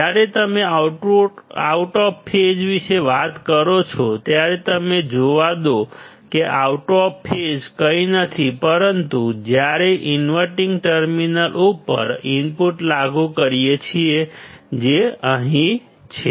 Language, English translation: Gujarati, Let us see when you talk about out of phase; out of phase is nothing, but when we apply the input to the inverting terminal which is over here